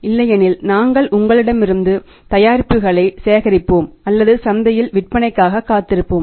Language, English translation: Tamil, Otherwise you are either we will collect the product back from you or wait for the sales in the market